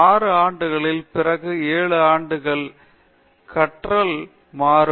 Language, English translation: Tamil, After 6 years, 7 years, 8 years, the learning will become very flat